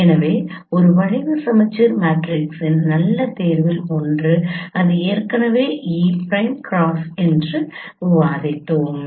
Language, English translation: Tamil, So one of the good choice of a skew symmetric matrix we have already discussed that is E prime cross